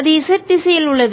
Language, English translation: Tamil, this z comes here